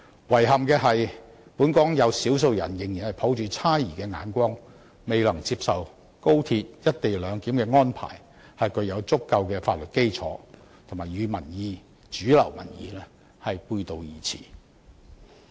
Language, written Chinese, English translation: Cantonese, 遺憾的是本港有少數人仍然抱着猜疑的眼光，未能接受高鐵"一地兩檢"安排是具有足夠法律基礎，與主流民意背道而馳。, Regrettably some people in Hong Kong are still viewing the matter with suspicion unwilling to accept that the proposed co - location arrangement has a solid legal basis and taking a stance which runs contrary to mainstream public opinion